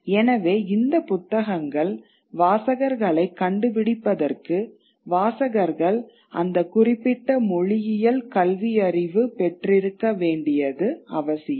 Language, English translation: Tamil, So it is important that for these books to find a readership, they needed the readers to be literate in that particular language